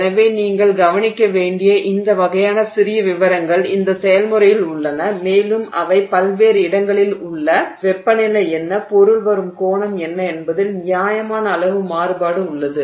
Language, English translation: Tamil, So, so this kind of these kind of small details are there in this process which you have to look into plus there is a fair amount of you know variation on what is the temperature at various locations and what is the angle at which the material is arriving etc